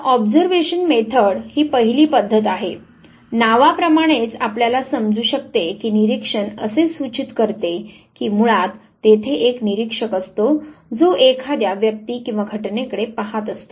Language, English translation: Marathi, So, the first method that is the observation method; now observation as you can understand as the name suggests that basically there is an observer who would be looking at either the individual or phenomena